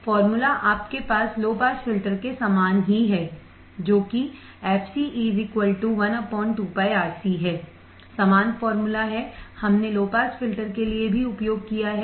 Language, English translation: Hindi, Formula is similar to your low pass filter that is fc equals to one upon 2 pi Rc ,same formula, we have used for the low pass filter as well